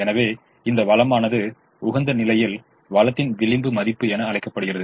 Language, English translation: Tamil, therefore this resource, the dual, is called marginal value of the resource at the optimum